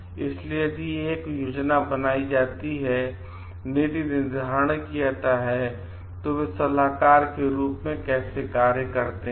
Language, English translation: Hindi, So, if a planning is done a policy making is done, how do they act as advisers